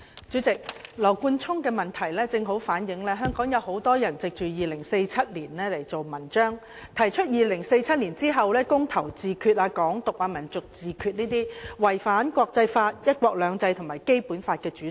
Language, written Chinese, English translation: Cantonese, 主席，羅冠聰議員的質詢正好反映香港有很多人藉着2047年大造文章，提出在2047年後"公投自決"、"港獨"、"民族自決"等違反國際法、"一國兩制"及《基本法》的主張。, President Mr Nathan LAWs question precisely shows that many people in Hong Kong have used 2047 to kick up a fuss by advocating referendum on self - determination Hong Kong independence national self - determination and so on after 2047 which violate the international laws one country two systems and the Basic Law